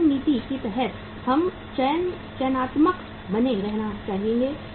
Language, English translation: Hindi, Under the skimming policy we would like to remain uh selective